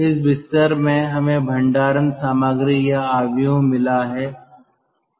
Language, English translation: Hindi, in this bed we have got storage material or matrix